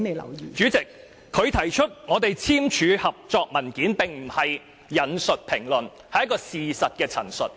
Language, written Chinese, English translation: Cantonese, 代理主席，她指出我們簽訂合作文件，這並非引述評論，而是事實陳述。, Deputy President when she said that we signed a cooperation document she was in the manner of stating a fact instead of quoting a comment